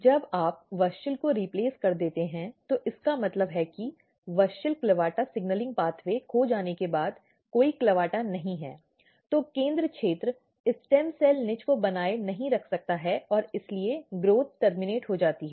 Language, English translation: Hindi, Once you replace the WUSCHEL there is no WUSCHEL there is no WUSCHEL means there is no CLAVATA once the WUSCHEL CLAVATA signaling pathway is lost, then the center region cannot maintain the stem cell niche and that is why the growth terminates